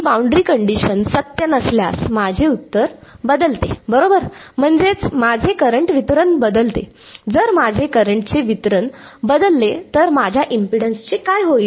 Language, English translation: Marathi, If this boundary condition is not true, my solution changes right my; that means, my current distribution changes if the my current distribution changes what happens to my impedance